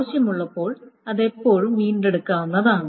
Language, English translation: Malayalam, So that can be always retrieved when necessary